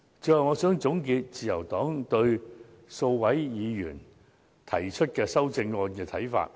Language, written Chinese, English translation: Cantonese, 最後，我想總結自由黨對數位議員提出的修正案的看法。, Finally I would like to summarize the views of the Liberal Party on the amendments proposed by a few Members